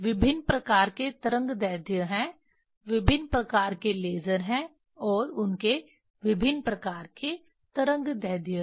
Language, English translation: Hindi, There are various kind of wavelength various kind of lasers and they have various kind of wavelength